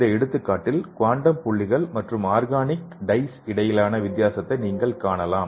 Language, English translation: Tamil, So in this example you can see the difference between the quantum dot and organic dye